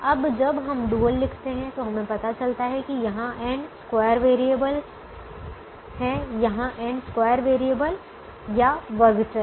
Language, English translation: Hindi, now, when we write the dual, we realize that there are n square variables here, n square variables here